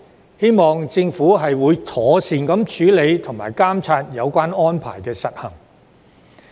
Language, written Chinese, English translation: Cantonese, 我希望政府會妥善處理和監察有關安排的實行。, I hope that the Government will properly handle and monitor the implementation of the relevant arrangements